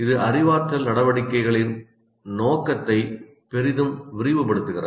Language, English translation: Tamil, It greatly enlarges the scope of cognitive activities